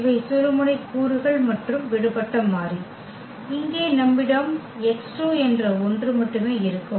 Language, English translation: Tamil, These are the pivot elements and the free variable we have only one that is here x 2